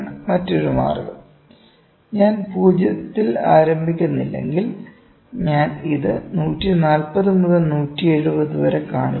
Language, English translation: Malayalam, Another way is if I do not start with started with 0, I start it with just 140 to 170